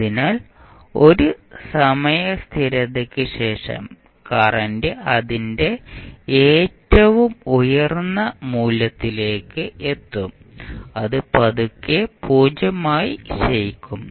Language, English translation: Malayalam, So, that means after 1 time constant the current will reach to its peak value and then it will slowly decay to 0